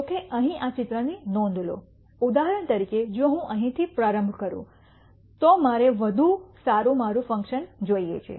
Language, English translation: Gujarati, However, notice this picture right here for example, if I started here I want a better my function